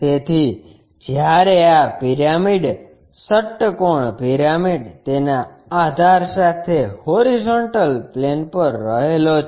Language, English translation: Gujarati, So, when this pyramid, hexagonal pyramid resting on horizontal plane with its base